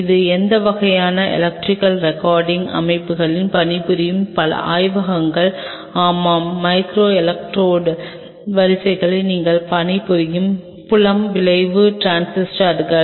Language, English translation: Tamil, So, many of the labs who work on these kind of electrical recording systems yeah microelectrode arrays field effect transistors you work on